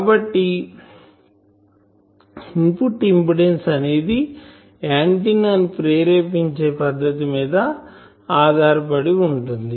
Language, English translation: Telugu, So, input impedance definitely depend on method of excitation